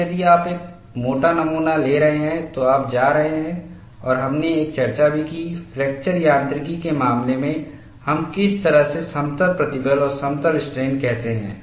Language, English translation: Hindi, Now, if you are having a thickness specimen, you are going to have… And we also had a discussion, what way we call plane stress and plane strain in the case of fracture mechanics